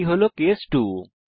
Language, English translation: Bengali, This is case 2